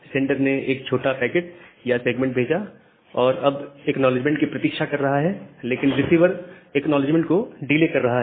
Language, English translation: Hindi, The sender has sent one small packet or a small segment and the sender is waiting for the acknowledgement, but the receiver is delaying that acknowledgement